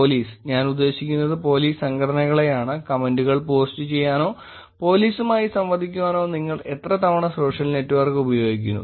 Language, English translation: Malayalam, Police, I mean Police Organizations; how often do you use social network to post comments or interact with police